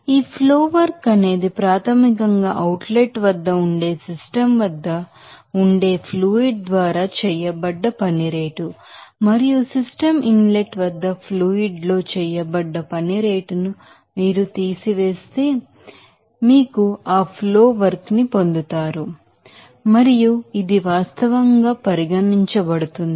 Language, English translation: Telugu, So, this flow work is basically rate of work done by the fluid at the system that will be at the outlet and if you subtract that the rate of work done in the fluid at the system inlet you will get that flow work and this will be regarded as actually what does it mean